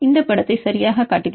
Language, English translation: Tamil, Then I show this picture right